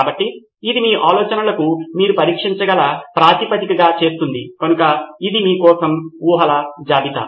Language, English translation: Telugu, So that makes it the basis on which you can test your ideas, so that is list of assumptions for you